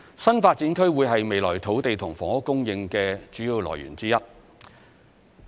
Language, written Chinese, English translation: Cantonese, 新發展區會是未來土地及房屋供應的主要來源之一。, New development areas would be one of the major sources of our future land and housing supply